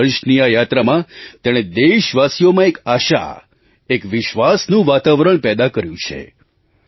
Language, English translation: Gujarati, In its journey of 25 years, it has created an atmosphere of hope and confidence in the countrymen